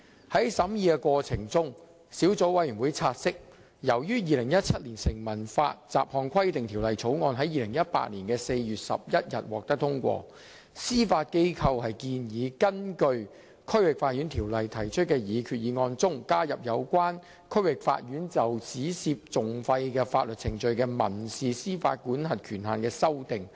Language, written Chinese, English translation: Cantonese, 在審議過程中，小組委員會察悉，由於《2017年成文法條例草案》在2018年4月11日獲得通過，司法機構建議在根據《區域法院條例》提出的擬議決議案中，加入有關區域法院就只涉訟費的法律程序的民事司法管轄權限的修訂。, In the process of deliberation the Subcommittee noted that since the Statute Law Bill 2017 was passed on 11 April 2018 the Judiciary proposed to include the amendment to the jurisdictional limit for costs - only proceedings of the District Court in the proposed resolution under the District Court Ordinance